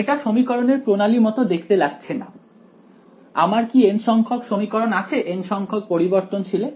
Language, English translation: Bengali, This does not look like a system of equation so far right, do I have n equations in n variables